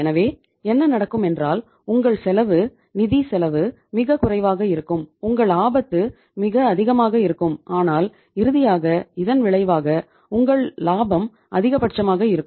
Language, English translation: Tamil, So but what will happen that your cost will be financial cost will be lowest, your risk will be highest but the finally the result will be that your profitability will be the maximum